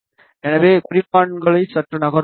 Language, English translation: Tamil, So, let us move the markers slightly